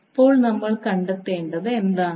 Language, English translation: Malayalam, Now what we need to find out